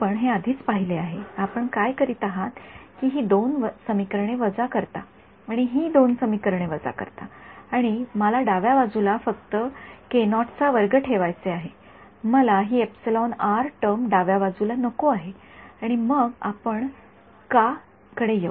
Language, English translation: Marathi, We have already seen this, what you do is you subtract these two equations and subtract these two equations and I want to keep the left hand side to have only k naught squared, I do not want this epsilon r term on the left hand side and we will come to why